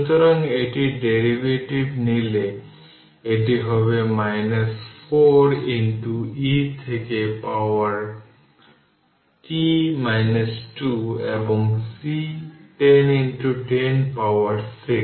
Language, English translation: Bengali, So, if we if you take the derivative of this one, it will become minus 4 into e to power minus t minus 2 right and C is 10 into 10 to the power minus 6